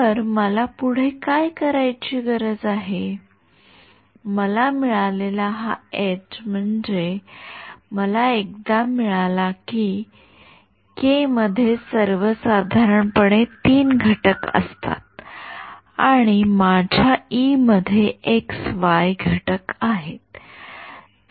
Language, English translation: Marathi, So, what do I need to do next, this H that I get, I mean once I get, once I have this k cross e, k in general is given by this right, k has 3 components and my e has x y components